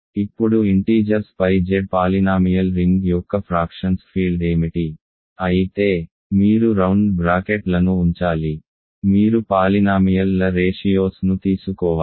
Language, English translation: Telugu, Now what is the field of fractions of Z polynomial ring over the integers, of course, you have to put round brackets in other words you have to take ratios of polynomials